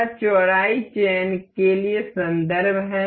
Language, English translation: Hindi, This is the reference for the width selections